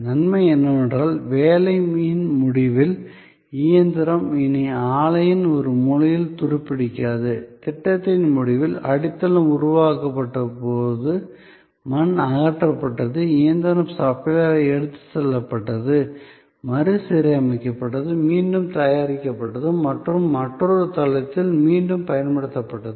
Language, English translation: Tamil, The advantage was that at the end of the job, the machine was no longer rusting away at one corner of the plant, at the end of the project, when the foundation was created, earth was removed, the machine was taken away by the machine supplier was reconditioned, was remanufactured and was reused that another site